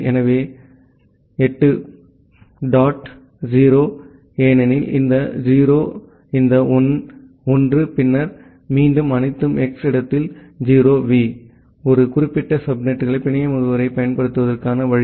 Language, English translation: Tamil, So, 8 dot 0, because this 0, this 1, and then again all 0s in the place of X, the way we get the network address for a particular subnet